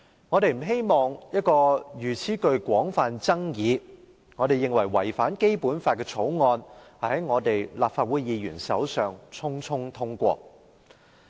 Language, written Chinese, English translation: Cantonese, 我們不希望一項如此具廣泛爭議、我們認為違反《基本法》的《條例草案》在立法會議員手上匆匆通過。, We do not want Legislative Council Members to hastily pass the Bill which has caused widespread controversy and in our view contravenes the Basic Law